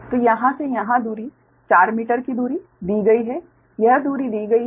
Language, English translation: Hindi, so here to here distance is given your four meter right, this distance is given